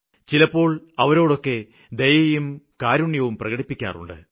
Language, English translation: Malayalam, Sometimes someone expresses pity and sympathy